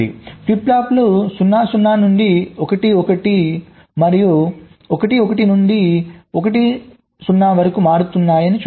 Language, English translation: Telugu, see, the flip flops are changing from zero to zero, zero to one, one to one and also one to zero